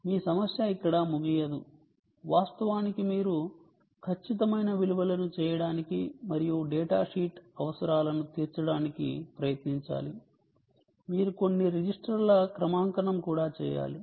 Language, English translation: Telugu, actually you have to do, in order to accurate values and try to meet the datasheet requirements, you also have to do calibration of some of the registers